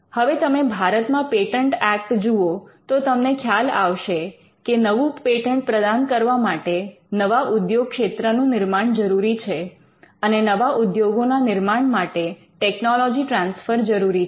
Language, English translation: Gujarati, Now, if you look at the patents Act in India as well, you will find that creation of new industry patent should be granted for the creation of new industry, new industries and they should be transfer of technology